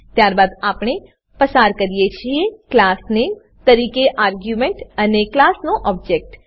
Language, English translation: Gujarati, Then we pass arguments as class name and object of the class